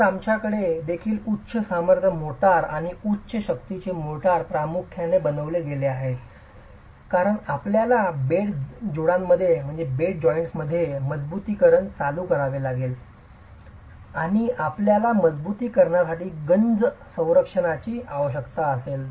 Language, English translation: Marathi, Today we also have high strength motors and high strength motors made primarily because you might have to introduce reinforcement in the bed joints and you need corrosion protection for the reinforcement